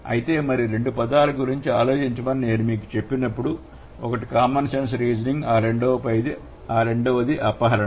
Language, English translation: Telugu, So, then when I told you to think about two terms, one is common sense reasoning and then the second one is abduction